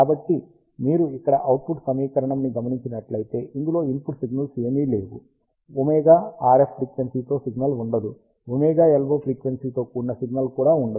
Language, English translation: Telugu, So, the output equation if you see here, it does not contain any of the input signals, it does not contain a signal with frequency omega RF, it does not also contain a signal with frequency omega LO